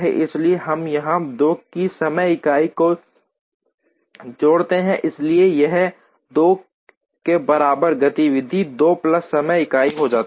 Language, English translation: Hindi, So, we add time unit of 2 here, so this goes activity 2 plus time unit equal to 2